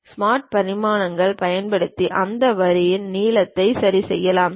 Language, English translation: Tamil, Using the Smart Dimensions we can adjust the length of that line